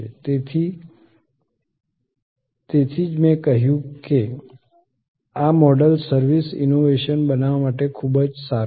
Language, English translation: Gujarati, So, that is why I said that this model is very good to create service innovation